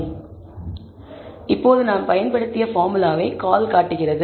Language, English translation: Tamil, Now, call displays the formula which we have used